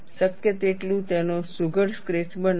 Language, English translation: Gujarati, Make a neat sketch of it, as much as possible